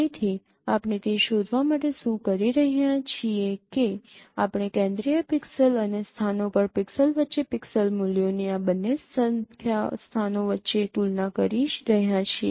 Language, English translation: Gujarati, So what we are trying to find out that we are comparing the pixel values between these two locations between the central pixel and the pixel at the locations